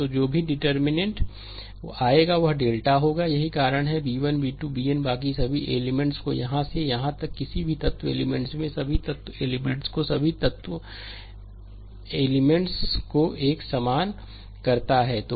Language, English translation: Hindi, So, that is whatever determinant will come that will be delta; that is why b 1 b 2 b n the rest all the elements from here to here all the elements, this all the elements all the elements it is same